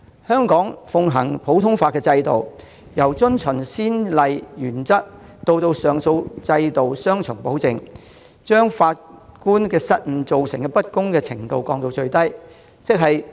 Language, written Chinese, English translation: Cantonese, 香港奉行的普通法制度，有遵循先例原則及上訴制度的雙重保證，因法官失誤而造成不公的程度降至最低。, Under the common law system practised by Hong Kong the doctrine of judicial precedent and the appeal system provide double safeguards to minimize the unfairness caused by the mistakes of judges